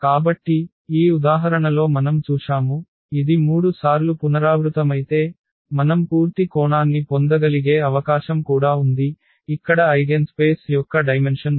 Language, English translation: Telugu, So, we have seen in this example that, if it is repeated 3 times it is also possible that we can get the full dimension, here the dimension of the eigenspace that is 3